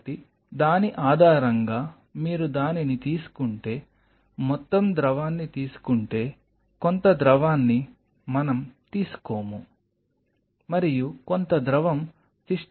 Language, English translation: Telugu, So, based on that if you took it, took at total amount of fluid some fluid we will not get into this and some fluid will get into the system